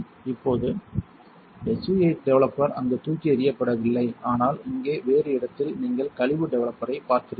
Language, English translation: Tamil, Now the SU 8 developer is not thrown in there, but in a different place here you see waste developer